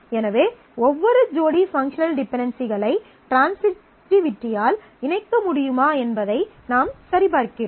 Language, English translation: Tamil, So, for every pair of functional dependencies, we check whether they can be combined by transitivity